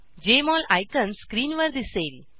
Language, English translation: Marathi, Jmol icon appears on the screen